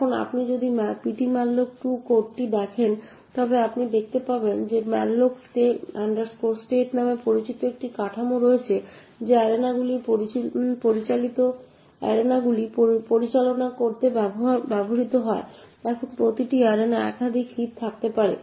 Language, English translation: Bengali, Now therefore in one process we could have multiple arena that are present, now if you look at the ptmalloc2 code you would see that there is a structure known as malloc state which is used to manage the arenas, now each arena can have multiple heaps